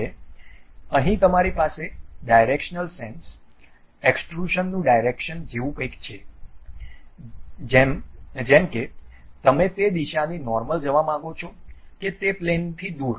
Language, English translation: Gujarati, Now, here you have something like Directional sense, Direction of Extrusion whether you would like to go normal to that direction or away from that plane